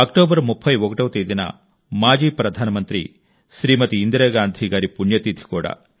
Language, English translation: Telugu, The 31st of October is also the death anniversary of former Prime Minister Smt Indira Gandhi Ji